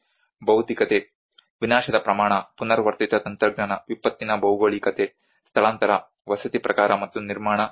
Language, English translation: Kannada, The materiality; the scale of destruction, the recurrent technology, the geography of the disaster, the displacement, the type of housing and the construction industry